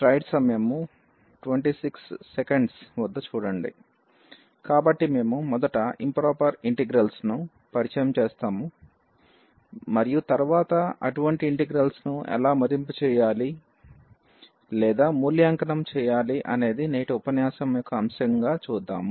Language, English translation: Telugu, So, we will introduce first the improper integrals and then how to evaluate such integrals that will be the topic of today’s lecture